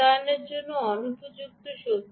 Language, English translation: Bengali, but unsuitable for deployments